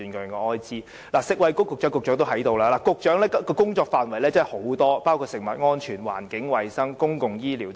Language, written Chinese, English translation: Cantonese, 現時食物及衞生局局長也在席，局長的工作範圍很大，包括食物安全、環境衞生和公共醫療等。, The Secretary is present here now . The Secretary has a very range of duties covering food safety environmental hygiene and public health care